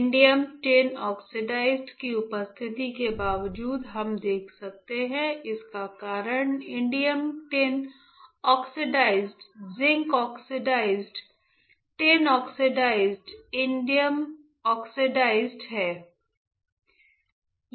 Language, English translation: Hindi, The reason that we are able to see even though there is a presence of indium tin oxide is indium tin oxide, zinc oxide, tin oxide, indium oxide